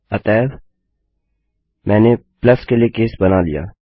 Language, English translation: Hindi, So I have created a case for plus